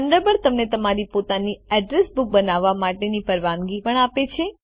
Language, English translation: Gujarati, Thunderbird also allows you to create your own address book